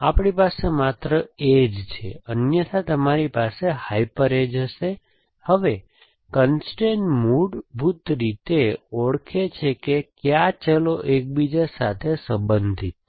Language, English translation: Gujarati, So, we have only edges, otherwise you would have hyper edges, the constrain of, basically identifies which variables are related to each other